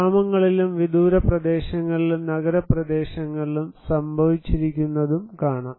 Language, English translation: Malayalam, Here is also some more in the villages, remote areas and also in urban areas